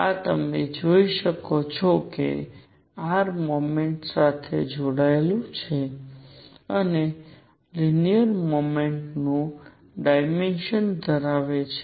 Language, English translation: Gujarati, This you can see is connected to motion along r and has a dimension of linear momentum